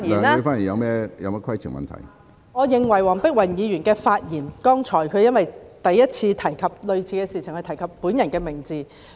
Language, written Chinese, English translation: Cantonese, 主席，我認為黃碧雲議員剛才在發言時，當她第一次提及類似的事情時，提及我的名字。, President I think when Dr Helena WONG spoke just now on the first occasion when she referred to similar matters she mentioned my name